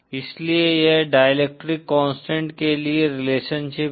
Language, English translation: Hindi, So this is the relationship for the dielectric constant